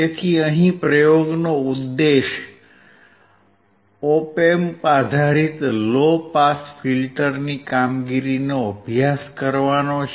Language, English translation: Gujarati, So, the aim is to study the working of an Op Amp based low pass filter